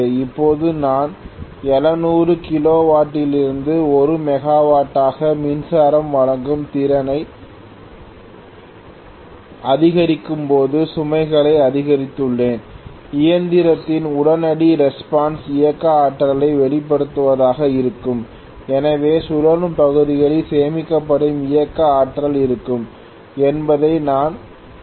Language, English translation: Tamil, Now when I increase the power delivering capacity from seven 700 kilowatts to 1 megawatt I have increased the load, immediate response of the machine will be to release the kinetic energy, so I am going to see that the kinetic energy stored in the rotating parts will be released, when this is released speed is going to decrease